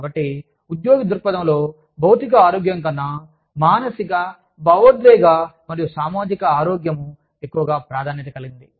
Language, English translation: Telugu, So, from the employee's perspective, it is much more, a function of psychological and emotional health, and social health, than it is of physical health